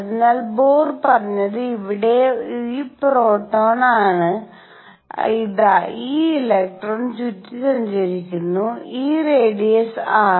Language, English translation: Malayalam, So, what Bohr said is here is this proton, here is this electron going around and this radius r